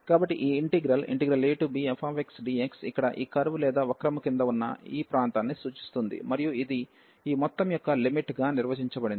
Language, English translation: Telugu, So, this integral a to b f x dx represents the area under this curve here and this is defined as the limit of this sum